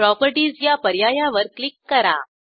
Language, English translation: Marathi, Navigate to Properties and click on it